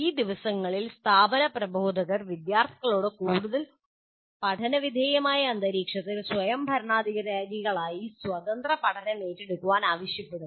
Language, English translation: Malayalam, And these days, institutional educators require students to undertake independent learning in increasingly less directed environments or autonomous learners